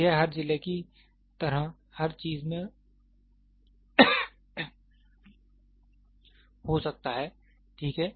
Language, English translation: Hindi, So, this can be in every something like every districts, ok